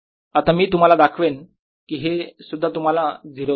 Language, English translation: Marathi, i'll show you now that this also gives you zero